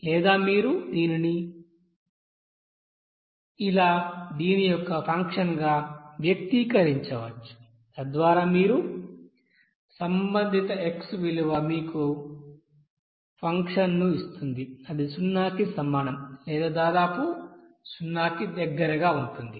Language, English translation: Telugu, Or you can express this as a function of so that your x value, corresponding x value will give you that function of this you know will be equals to 0 or very near about to 0